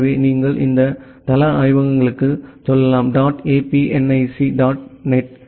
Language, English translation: Tamil, So, you can go to this site labs dot apnic dot net